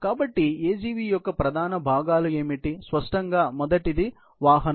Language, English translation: Telugu, So, what are the main components of an AGV; obviously, the first is the vehicle itself